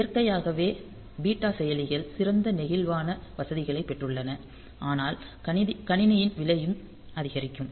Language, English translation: Tamil, So, naturally the beta processors we have got better flexibly facilities, but the cost of the system will also go up